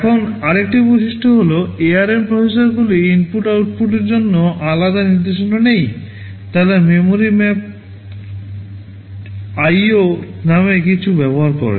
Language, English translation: Bengali, Now another feature is that I would like to say is that ARM processors does not have any separate instructions for input/ output, they use something called memory mapped IO